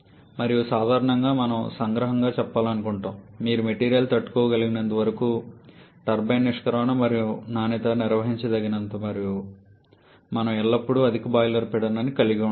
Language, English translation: Telugu, And generally we like to summarize then that we always like to have a higher boiler pressure as much as your material can withstand and also as long as the turbine exit quality is manageable